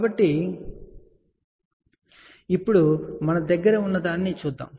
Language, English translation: Telugu, So, let us see what we have here now